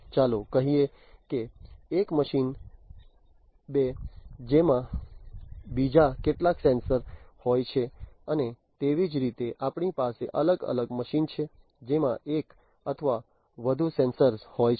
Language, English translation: Gujarati, So, we have a machine 1 which has some sensor let us say, a machine 2 which has some other sensor and likewise we have different machines which have one or more sensors